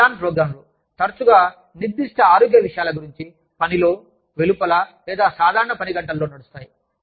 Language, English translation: Telugu, They are add on programs, often about specific health topics, that are run at work, in or outside, normal working hours